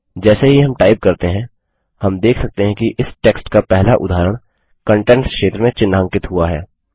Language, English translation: Hindi, As we type, we see that the first instance of that text, is being highlighted in the Contents area